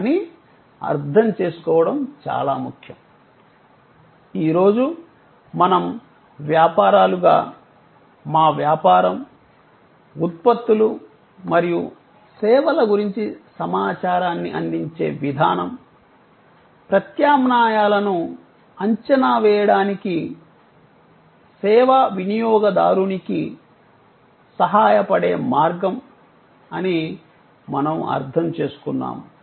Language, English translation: Telugu, But, most important to understand is that, today we understand that as businesses, the way we provide information about our business, products and services, the way we will help, the service consumer to evaluate alternatives